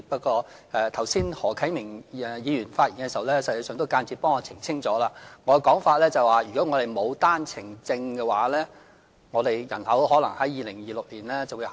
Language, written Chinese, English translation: Cantonese, 剛才何啟明議員發言時，實際上也間接代我澄清了，我所說的是如果我們沒有單程證的話，我們的人口可能在2026年下跌。, Actually in his speech earlier Mr HO Kai - ming indirectly clarified this point for me that if not for the one - way permit quota our population might fall in 2026